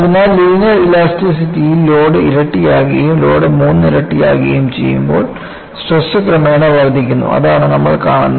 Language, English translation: Malayalam, So, in linear elasticity, when the load is double and when the load is triple,the stresses also progressively increase;so, all that you see